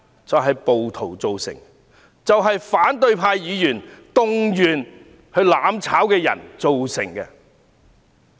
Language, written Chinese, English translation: Cantonese, 就是暴徒，以及反對派議員動員"攬炒"的人造成的。, This situation is caused by the rioters and opposition Members who have mobilized the people to burn together